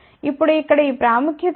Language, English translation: Telugu, Now, what is this significance of this here